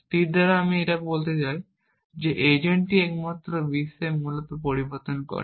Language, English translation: Bengali, By static we mean that agent is the only one making changes in the world essentially